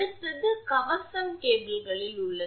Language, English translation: Tamil, Next is armor is there in the cable